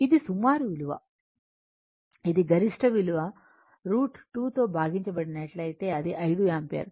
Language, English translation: Telugu, It is approximate value 7 point it is a maximum value if you divide by root 2 it is 5 ampere